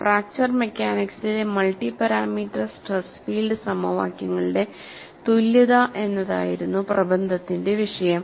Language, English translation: Malayalam, This appeared in International Journal of Fracture and the topic of the paper was 'Equivalence of multi parameter stress field equations in Fracture Mechanics'